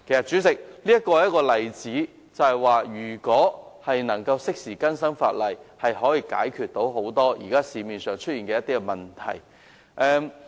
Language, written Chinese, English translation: Cantonese, 主席，泊車位是一個例子，顯示如果能夠適時更新法例，便可以解決很多現時市面上出現的問題。, President parking spaces are an example that shows that the updating of legislation in a timely manner can address many existing problems now